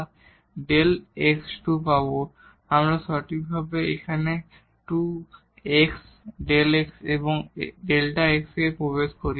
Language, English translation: Bengali, So, we get precisely here 2 x delta x delta x and into delta x